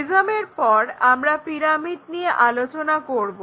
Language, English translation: Bengali, After prisms there is another object what we call pyramids